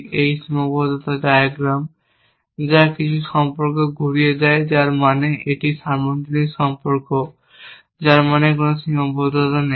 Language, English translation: Bengali, This constraint diagram which turns anything about, which means it is a universal relation which means there is no constraint, on choosing any value from there